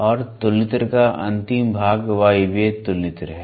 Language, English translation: Hindi, And the last part of the comparator is Pneumatic comparator